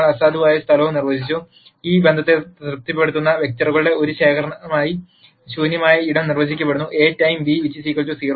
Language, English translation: Malayalam, We also de ned null space, null space is de ned as a collection of vectors that satisfy this relationship A times beta equal to 0